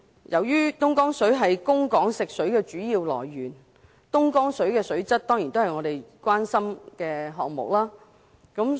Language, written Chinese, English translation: Cantonese, 由於東江水是供港食水的主要來源，其水質當然備受關注。, As Dongjiang water is the main source of drinking water for Hong Kong its quality is of course a matter of great concern